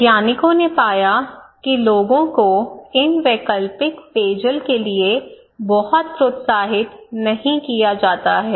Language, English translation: Hindi, The scientists found that people are not very encouraged, not very motivated to have these alternative drinking water, right